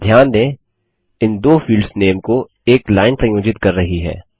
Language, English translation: Hindi, Notice a line connecting these two field names